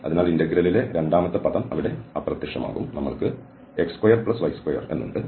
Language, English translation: Malayalam, So, the second term in our integral here will vanish and we have x square plus this y square dx